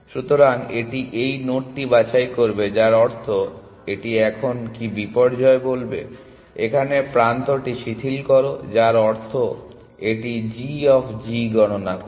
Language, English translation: Bengali, So, it will pick this node which means it will now what disaster would have said relax the edge here which means it will compute g of g